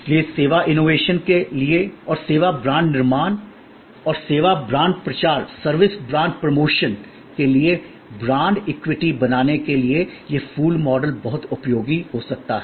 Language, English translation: Hindi, So, both for servicing innovation and for service brand creation and service brand promotion creating the brand equity, this flower model can be very useful